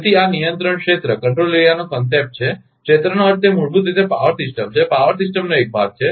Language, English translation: Gujarati, So, this is the concept of control area; area means it is basically a power system, a part of a power system